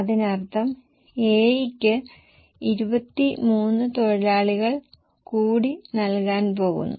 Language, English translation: Malayalam, That means we are going to give 23 more labor to A